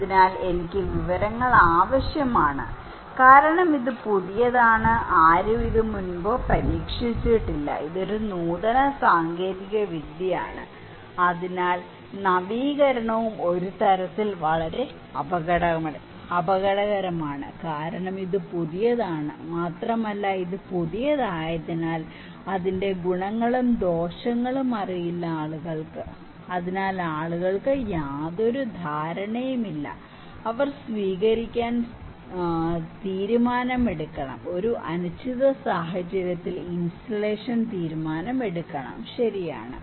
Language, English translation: Malayalam, So, I need information because this is a new, no one before tried this one, this is an innovative technology so, innovation is also very dangerous in some sense because this is new and as it is new, its advantage and disadvantages are not known to the people, so people have no idea, they have to make decision of adoption, decision of installation in an uncertain situation, right